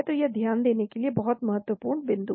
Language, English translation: Hindi, So that is very important point to note